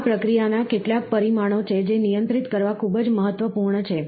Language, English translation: Gujarati, These are some of the process parameters, which are very important to be controlled